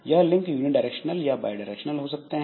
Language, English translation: Hindi, Is the link unidirectional or bi directional